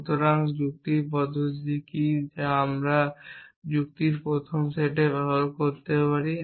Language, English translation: Bengali, So, what is the reasoning mechanism that we can use in first set of logic